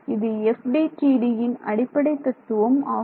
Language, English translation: Tamil, So, what is the FDTD scheme all about